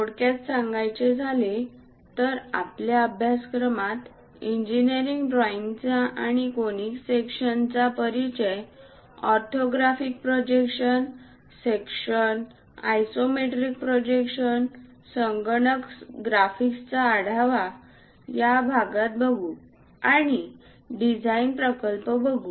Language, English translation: Marathi, To briefly recap our course contents are introduction to engineering drawing and conic sections, orthographic projections, sections, isometric projections , overview of computer graphics in this part we will cover, and a design project